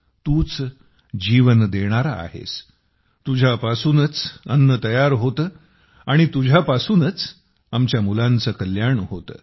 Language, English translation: Marathi, You are the giver of life, food is produced from you, and from you is the wellbeing of our children